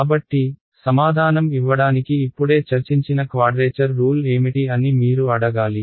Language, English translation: Telugu, So, to answer that you should ask me what is a quadrature rule we just discussed, what is the quadrature rule